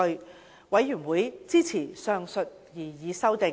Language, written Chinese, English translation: Cantonese, 事務委員會支持上述擬議修訂。, The panel supported the proposed amendment